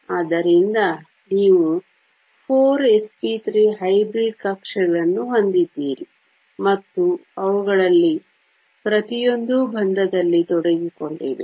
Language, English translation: Kannada, So, you have 4 s p 3 hybrid orbitals and each of them are involved in a bond